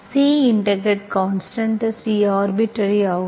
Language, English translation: Tamil, Okay, C is integration constant, C is arbitrary